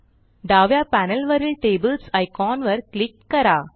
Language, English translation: Marathi, Let us click on the Tables icon on the left panel